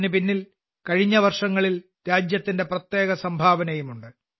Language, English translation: Malayalam, There is also a special contribution of the country in the past years behind this